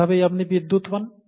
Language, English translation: Bengali, And that's how you get electricity